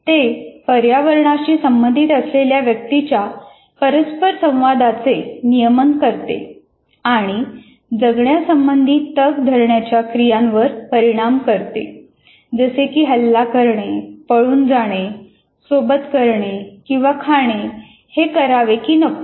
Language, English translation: Marathi, And it regulates individuals interactions with the environment and can affect survival, such as whether to attack, escape, mate or eat